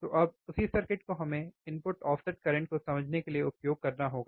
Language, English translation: Hindi, So now, same circuit we have to use for understanding the input offset current